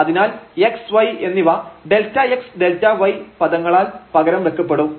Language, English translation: Malayalam, So, this x y will be replaced simply by delta x and delta y terms